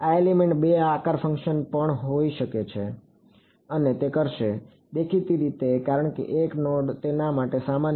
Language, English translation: Gujarati, This element will also have two shape functions and it will; obviously, since 1 node is common to it right